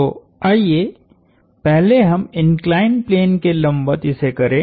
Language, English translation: Hindi, So, let us first do the perpendicular to the inclined plane